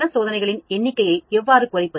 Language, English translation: Tamil, How to reduce the number of experiments